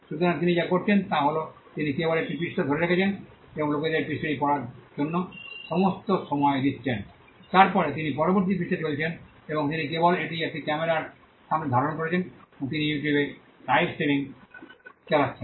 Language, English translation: Bengali, So, what he is doing is he is just holding a page and giving sufficient time for people to read the page, then he is moving to the next page and he is just holding it in front of a camera and he is life streaming this on you tube